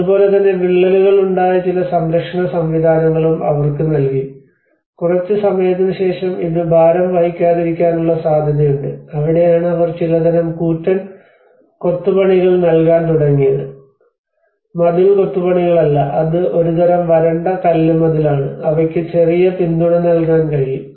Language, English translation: Malayalam, \ \ \ And similarly, they also given some support systems where there has been cracks and there is a possibility that this may not bear the load after some time that is where they started giving some kind of huge rubble masonry wall, not masonry, it is a kind of dry stone wall which they have able to give a little support on that